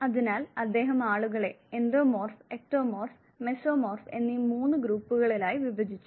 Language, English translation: Malayalam, So, he divided people into three groups Endomorph, Ectomorph and the Mesomorph